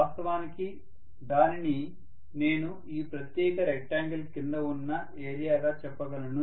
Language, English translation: Telugu, Which actually I can specify as the area under this particular rectangle